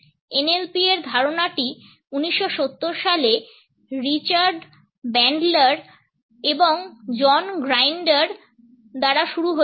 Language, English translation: Bengali, The idea of NLP was started in 1970s by Richard Bandler and John Grinder